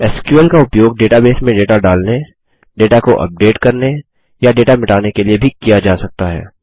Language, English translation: Hindi, SQL can also be used for inserting data into a database, updating data or deleting data from a database